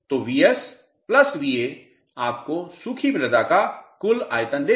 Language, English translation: Hindi, So, Vs plus Va will give you the total volume of the dry soil